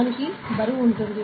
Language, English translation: Telugu, This will have a weight